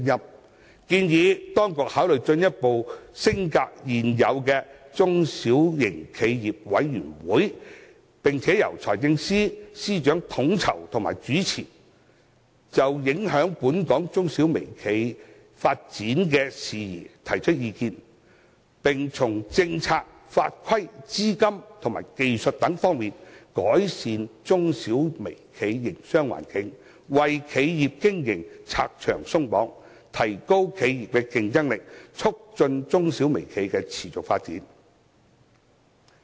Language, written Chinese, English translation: Cantonese, 我建議當局考慮進一步將現有的中小型企業委員會升格，由財政司司長統籌和主持，並就影響本港中小微企發展事宜提出意見，從政策、法規、資金及技術等方面，改善它們的營商環境，為企業經營拆牆鬆綁，提高企業競爭力，促進中小微企的持續發展。, I suggest the Government should consider further upgrading the existing SMEs Committee and let the Financial Secretary be its coordinator and convenor . The committee can serve as a platform to raise views on matters affecting the development of SMEs and micro - enterprises with a view to improving their business environment through policies legislation capital technologies removal of their operational barriers enhancing their competitiveness and facilitating their sustainable development